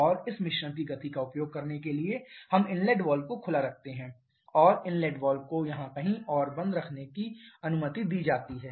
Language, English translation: Hindi, And in order to use the momentum of this mixture we keep the inlet valve open and the inlet valve is allowed to close maybe somewhere here